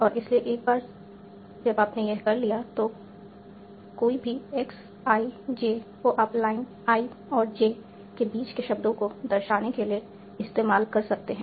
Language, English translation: Hindi, And so once you have done that, any x I J will denote words between line I N